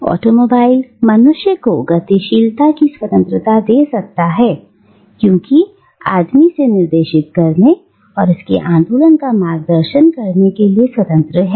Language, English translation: Hindi, Now, automobile can give man the freedom of mobility because the man is free to direct it and guide its movement